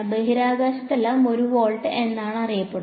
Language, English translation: Malayalam, In space where all is it known to be 1 volt